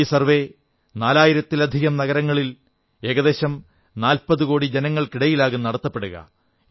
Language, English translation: Malayalam, This survey will cover a population of more than 40 crores in more than four thousand cities